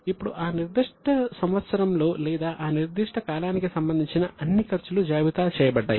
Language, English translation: Telugu, Now, all expenses of the concern in that particular year or that for that period are listed out